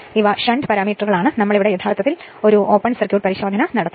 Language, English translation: Malayalam, These are shunt parameters right we will perform actually open circuit test